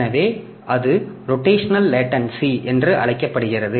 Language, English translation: Tamil, So, that is called rotational latency